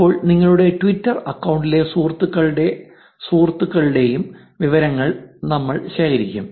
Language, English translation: Malayalam, Now, we will collect the friends of friends' information of your twitter account